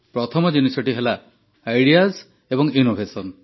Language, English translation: Odia, The first aspect is Ideas and Innovation